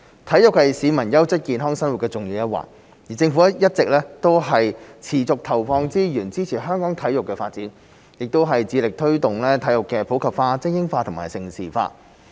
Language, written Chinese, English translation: Cantonese, 體育是市民優質健康生活的重要一環，而政府一直持續投放資源，支持香港的體育發展，亦致力推動體育的普及化、精英化和盛事化。, In the view that sports are important for people to adopt a quality and healthy lifestyle the Government has made continuous investment to support the sports development in Hong Kong . We are also committed to promoting sports in the community supporting elite sports and developing Hong Kong into a centre for major international sports events